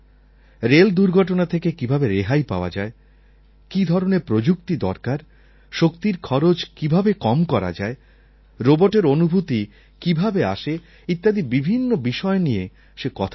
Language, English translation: Bengali, He was talking about things like, how to stop railway accidents, which technology to use, how to save money in producing energy, how to develop feelings in robots and what not